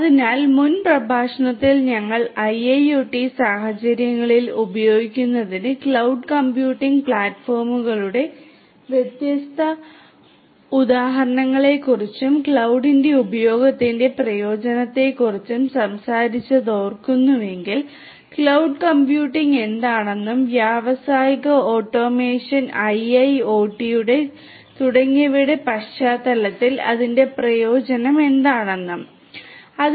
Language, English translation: Malayalam, So, if you recall that in the previous lecture we talked about the different examples of cloud computing platforms for use in IIoT scenarios and also the usefulness of the use of cloud; cloud computing what it is and what is its usefulness in the context of industrial automation IIoT and so on